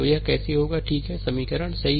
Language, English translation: Hindi, So, this is actually given as equation 10